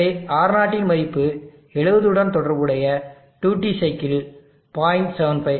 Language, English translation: Tamil, So far R0 of 70 the corresponding duty cycle is 0